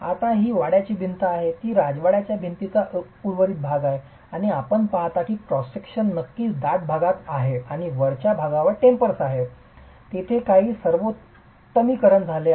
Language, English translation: Marathi, Now this is a palace wall, it is the remaining part of the palace wall and you see that the cross section is definitely thicker at the base and tapers to the top